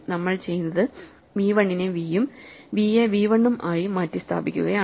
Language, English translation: Malayalam, So, what we do is we replace v 1 by v and v by v 1